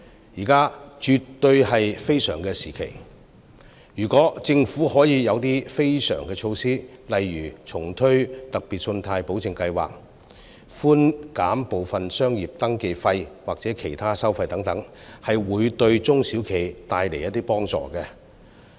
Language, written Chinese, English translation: Cantonese, 現在絕對是非常時期，如果政府可以推出非常措施，例如重推特別信貸保證計劃、寬減部分商業登記費或其他收費等，會對中小企帶來幫助。, During this extraordinary period I hope the Government can introduce extraordinary measures such as re - launching the Special Loan Guarantee Scheme SpGS as well as waiving some of the business registration fees or other charges . These could help SMEs in some measure